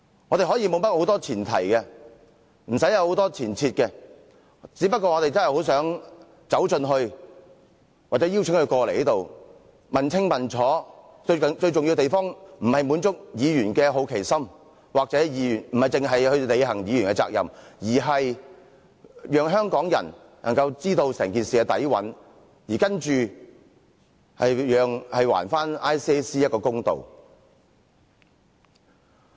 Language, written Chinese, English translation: Cantonese, 我們可以沒有甚麼前提，無需很多前設，只不過我們真的很想走進去或邀請他們前來，問個清楚，最重要之處不是要滿足議員的好奇心，又或單單要履行議員的責任，而是讓香港人知道整件事的底蘊，並且還 ICAC 一個公道。, There can be no premise or precondition . All that we want to do is to go inside or invite them over to ask them what it is all about . Most importantly we seek not to satisfy our curiosity or fulfil our duty as Member but to let Hong Kong people know the details of the incident and to do ICAC justice